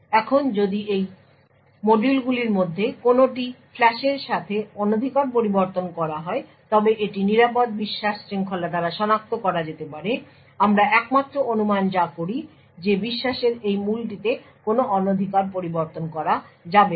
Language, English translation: Bengali, Now if any of this modules are tampered with in the flash this can be detected by the secure chain of trust the only assumption that we make is that this root of trust cannot be tampered with that is the only assumption that we make